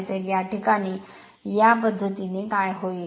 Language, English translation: Marathi, So, in this case what will happen the by this method